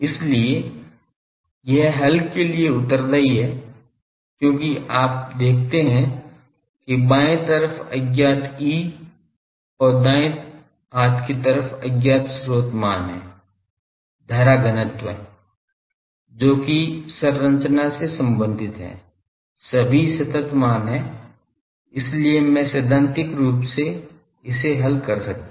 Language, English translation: Hindi, So, this is amenable for solution because you see left hand side is unknown E and right hand side is the unknown source quantity the current density that the structure is supporting others are all constant I know; so, I can theoretically solve this